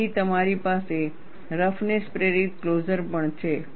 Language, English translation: Gujarati, Then, you also have roughness induced closure